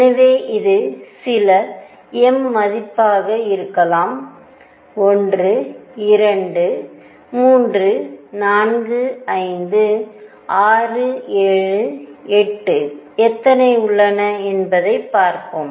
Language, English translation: Tamil, So, this could be some m value let us see how many are there 1, 2, 3, 4, 5, 6, 7, 8 let me make 9